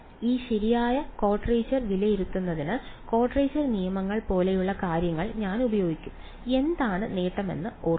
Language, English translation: Malayalam, So, I will use things like quadrature quadrature rules to evaluate this right quadrature remember what was the advantage